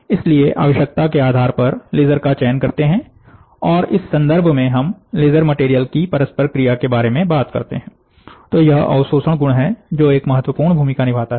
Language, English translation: Hindi, So, depending upon the requirement they choose the laser, and in terms of, when we talk about laser material interaction, it is the absorptivity property which plays a important role